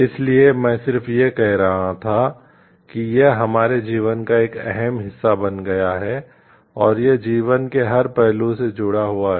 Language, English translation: Hindi, So, just I was telling it has lively become life part and parcel of our life and it has like got intricately related to every aspect of a life